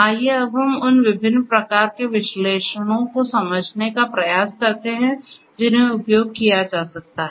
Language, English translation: Hindi, Let us now try to understand and get an over overview of the different types of analytics that could be executed